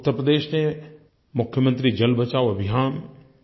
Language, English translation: Hindi, ' In Uttar Pradesh there is 'Mukhya Mantri Jal Bachao Abhiyaan'